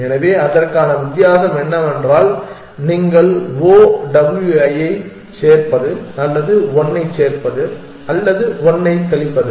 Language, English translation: Tamil, So, the difference between that is that you adding O W either you adding 1 or subtracting 1